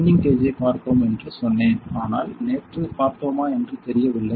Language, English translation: Tamil, I told you that we have seen the penning gauge, but I am not sure whether we saw it yesterday